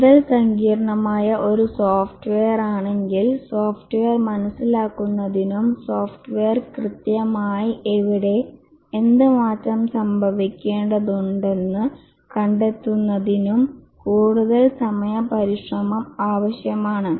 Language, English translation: Malayalam, The more complex is a software, the more time effort is necessary to understand the software and find out where exactly and what change needs to occur